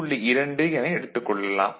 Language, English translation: Tamil, 5 volt that makes 2